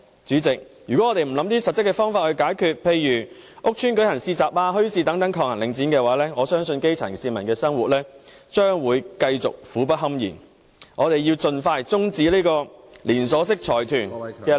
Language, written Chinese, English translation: Cantonese, 主席，如果我們不找一些實質方法來解決，例如在屋邨設立市集、墟市等來抗衡領展，我相信基層市民的生活將會繼續苦不堪言，因此我們須盡快終止這個連銷式財團的壟斷。, President if we do not find practical solutions to the problem such as setting up markets and bazaars in housing estates to counter Link REIT I believe the lives of the grass roots will continue to remain utterly miserable . For this reason we must put an end to the monopolization by this consortium as soon as possible